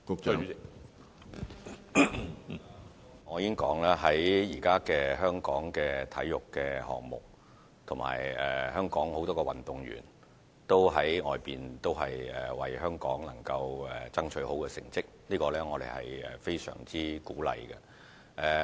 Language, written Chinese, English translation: Cantonese, 主席，我已經指出，香港現時在體育項目方面，以及很多運動員也在外地為香港爭取到好成績，我們對此是非常鼓勵的。, President I have pointed out that in respect of sporting events many athletes have achieved very good results overseas for Hong Kong and we feel very much encouraged by this